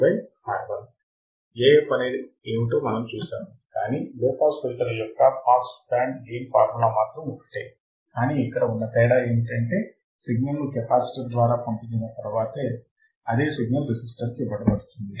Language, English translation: Telugu, The f is something, but pass band gain formula which is the same formula of a low pass filter the only difference here is now we are passing the signal through the capacitor and then it is fed to the resistor